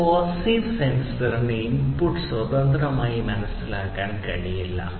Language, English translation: Malayalam, A passive sensor cannot independently sense the input